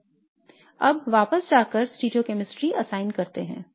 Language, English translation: Hindi, Now let me go back and assign the stereo chemistry